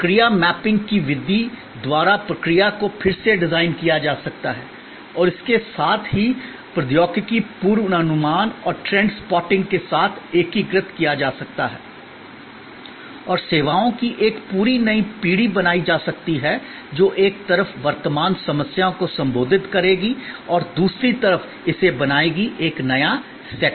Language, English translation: Hindi, The process redesign by the method of process mapping can be then integrated with also technology forecasting and trends spotting and a complete new generation of services can then be created, which on one hand will address the current problems and on the other hand, it will create a complete new set